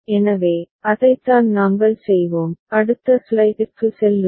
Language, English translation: Tamil, So, that is what we shall do, move to the next slide